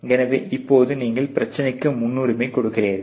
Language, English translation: Tamil, So, then you prioritise the problems